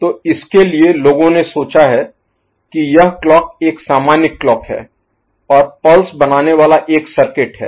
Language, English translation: Hindi, So, for that people have thought about the clock is the normal clock here and a pulse forming a circuit ok